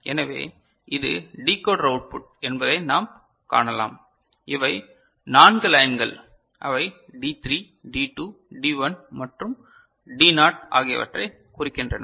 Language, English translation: Tamil, So, we can see this is the decoder output and these are the 4 lines right they signify the D3, D2, D1 and D naught right